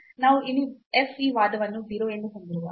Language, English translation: Kannada, So, when we have this argument here in f as 0